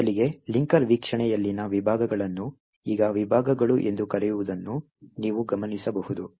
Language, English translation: Kannada, First, you would notice that the sections in the linker view now called segments